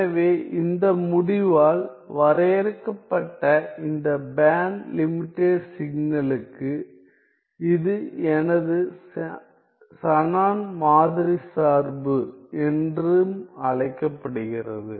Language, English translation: Tamil, So, for this band limited signal, defined by this result, this is also called as my Shannon sampling function; Shannon sampling function